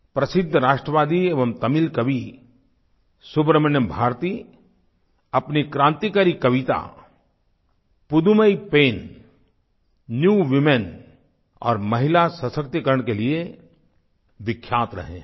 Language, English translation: Hindi, Renowned nationalist and Tamil poet Subramanya Bharati is well known for his revolutionary poem Pudhumai Penn or New woman and is renowned for his efforts for Women empowerment